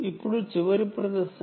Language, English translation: Telugu, see, this is the last part